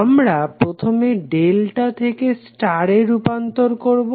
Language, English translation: Bengali, We have to first try to convert delta into star